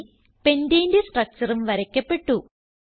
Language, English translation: Malayalam, Here the structure of pentane is drawn